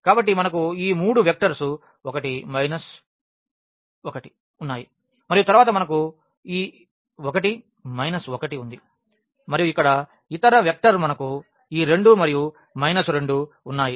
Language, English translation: Telugu, So, we have these 3 vectors the 1 minus 1 and then we have this 1 minus 1 and the other vector here we have this 2 and minus 2